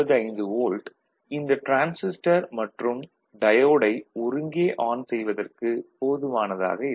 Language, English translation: Tamil, 95 which is not sufficient to drive both this transistor, and the diode together on, so this transistor will be off, ok